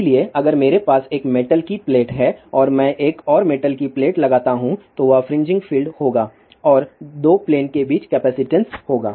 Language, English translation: Hindi, So, if I have a metal plate and I put another metallic plate over there there will be fringing field and there will be a capacitance between the 2 plane